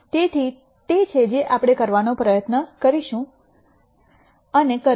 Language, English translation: Gujarati, So, that is what we are going to try and do